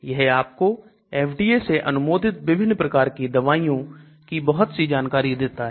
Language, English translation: Hindi, It gives you lot of information about different types of drugs that are currently in FDA approved